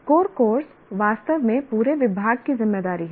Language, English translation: Hindi, The core courses are really the property of the, our responsibility of the entire department